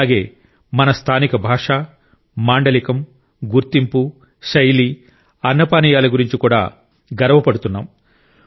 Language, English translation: Telugu, We are as well proud of our local language, dialect, identity, dress, food and drink